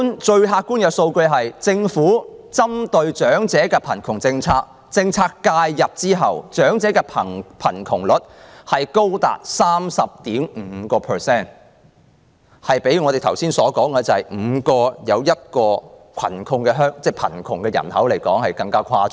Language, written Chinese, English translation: Cantonese, 最客觀的數字是，自政府實施針對長者的扶貧政策以後，長者的貧窮率仍高達 30.5%， 較我剛才所說的香港每5人中有1人屬貧窮人口更誇張。, The most objective figure is that even after the implementation of the Governments poverty alleviation policy targeting at the elderly their poverty rate still stands at 30.5 % which is even worse than the rate of one in five among the overall population in Hong Kong